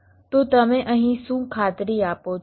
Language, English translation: Gujarati, so what do you guarantee here